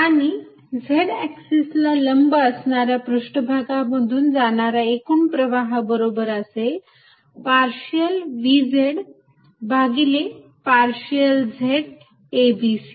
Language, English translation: Marathi, And net flow through surfaces perpendicular to the z axis is going to be partial v z over partially z a b c